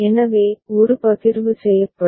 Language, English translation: Tamil, So, one partition will be made